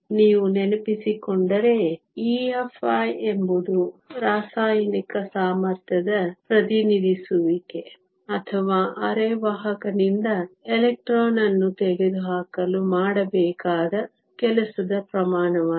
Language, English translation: Kannada, If you remember E Fi is nothing but a representation of the chemical potential or the amount of work that needs to be done in order to remove an electron from a semiconductor